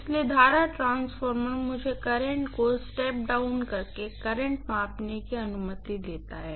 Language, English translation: Hindi, So, current transformer allows me to measure the current by stepping down the current